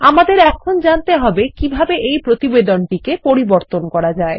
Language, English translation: Bengali, We will now learn how to modify this report